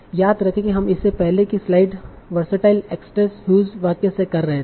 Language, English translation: Hindi, Remember we were doing it in one of the earlier slides in versatile actress whose